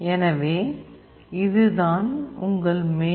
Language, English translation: Tamil, So, this is where this is your main